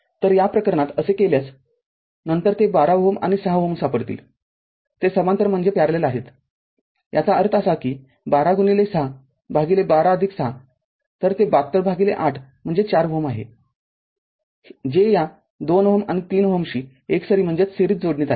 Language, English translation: Marathi, So, in this case if you do so, then you will find 12 ohm and 6 ohm, they are in parallel so; that means, 12 into 6 by 12 plus 6 so, it is 72 by 8 so, 4 ohm with that this 2 ohm and 3 ohm are in series